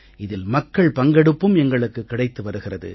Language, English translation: Tamil, We are receiving public participation too